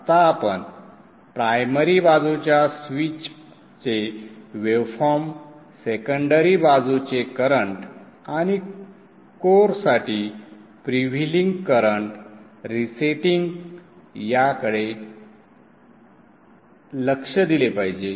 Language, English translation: Marathi, What we should now look at is the waveforms of the primary side switch, the secondary side currents and the freewheeling currents for core resetting